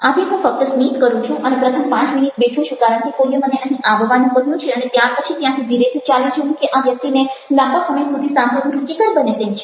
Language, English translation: Gujarati, so i just smile and sit down for the first five minutes because somebody is asked me to come here and then slowly walk away, or is this guy interesting enough to listen to for a long period of time